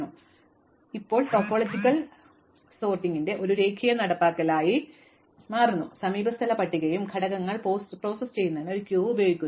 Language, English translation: Malayalam, So, this becomes now a linear implementation of topological sort, using adjacency list and a queue to process the elements